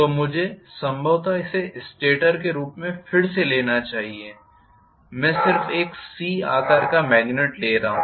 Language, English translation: Hindi, So, let me probably take this as the stator again I am just taking a C shaped magnet